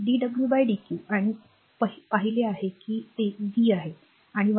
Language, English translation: Marathi, And dw by dq we have seen it is V and from equation 1